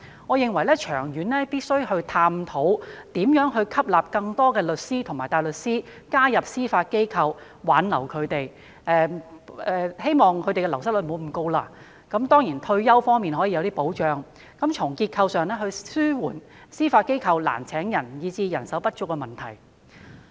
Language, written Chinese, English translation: Cantonese, 我認為，長遠而言，必須探討如何吸納更多律師及大律師加入司法機構，並且挽留他們，希望減低流失率，當然亦可提供一些退休方面的保障，藉以從結構上紓緩司法機構因招聘困難而導致人手不足的問題。, I think that in the long run we must explore ways to attract more solicitors and barristers to join the Judiciary and to retain them in the hope of reducing the wastage rates . Certainly some sort of retirement protection can also be provided with a view to relieving through a structural approach the manpower shortage in the Judiciary that has arisen from difficulties in recruitment